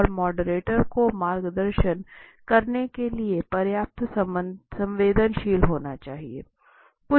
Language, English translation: Hindi, And as I said it has to be the moderator must be sensitive enough to guide